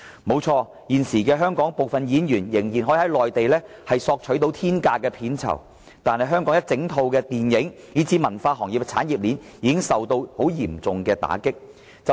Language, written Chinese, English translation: Cantonese, 不錯，現時香港部分演員仍可在內地索取天價片酬，但香港的電影，以至文化行業的產業鏈已受到嚴重的打擊。, It is true that some Hong Kong artistes can still ask for astronomical pays in the Mainland but the industrial chain of the Hong Kong film and cultural industry has already suffered a heavy blow